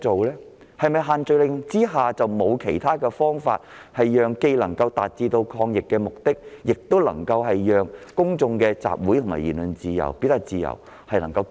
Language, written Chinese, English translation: Cantonese, 難道在限聚令之下沒有其他方法，既能達到抗疫目的，亦能繼續保障公眾集會和言論自由、表達自由嗎？, Is there no other way under the social gathering restrictions to achieve anti - epidemic purposes while at the same time to continue to safeguard the freedom of assembly of speech and of expression enjoyed by the general public?